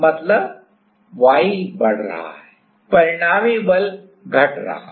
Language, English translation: Hindi, While y increasing; resulting force is decreasing